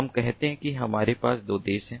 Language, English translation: Hindi, let us say that we have two countries